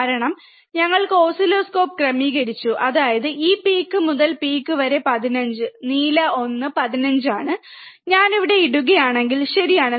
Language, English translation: Malayalam, Because we have adjusted the oscilloscope, such that even the this peak to peak is 15 that is the blue one is 15 if I if I put it here, right